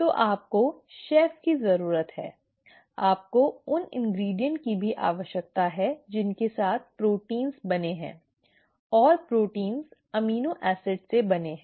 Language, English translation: Hindi, So you need the chef, you also need the ingredients with which the proteins are made and proteins are made up of amino acids